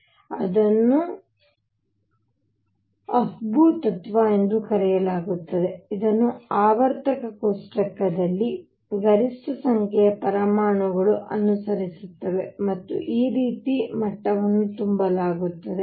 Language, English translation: Kannada, So, this is known as the Afbau principle, it is followed by maximum a large number of atoms in the periodic table, and this is how the levels are filled